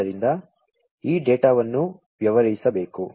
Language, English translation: Kannada, So, this data will have to be dealt with